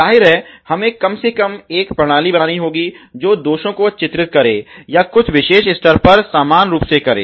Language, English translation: Hindi, Obviously, we have to at least make a system were painting defects or also equally at some particular level